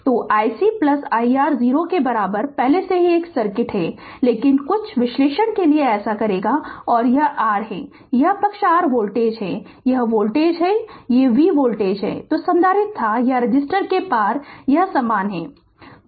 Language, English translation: Hindi, So, i C plus i R equal to 0 right already the same circuit, but for some analysis we will do that and this is your this side is your voltage right this is the voltage, v is the voltage that was the capacitor or across the resistor it is same right